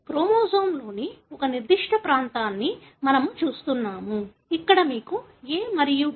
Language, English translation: Telugu, We are looking at a particular region of the chromosome where you have the complementarity, between A and T